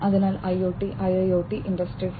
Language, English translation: Malayalam, So, in the context of IoT, IIoT, Industry 4